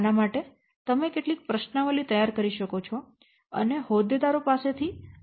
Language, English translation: Gujarati, For this you may carry out, you may prepare some questionaries and collect the information from the stakeholders